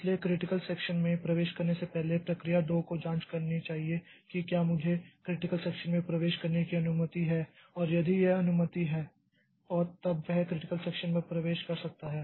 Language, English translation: Hindi, So, before entering the critical section the process two should make some sort of check that whether I am allowed to enter into the critical section and if it is allowed then only it should enter into the critical section